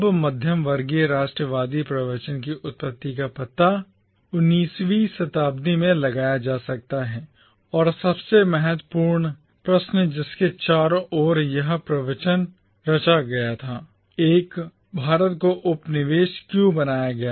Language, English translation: Hindi, Now, the origin of the middle class nationalist discourse can be traced back to the 19th century and the most important questions around which this discourse crystallised were: 1